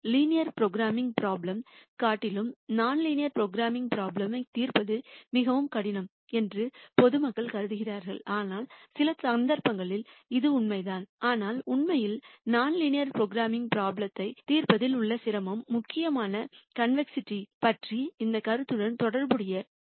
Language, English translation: Tamil, In general people used to think non linear programming problems are much harder to solve than linear programming problems which is true in some cases, but really the difficulty in solving non linear programming problems is mainly related to this notion of convexity